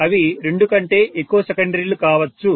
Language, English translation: Telugu, It can be more than two secondaries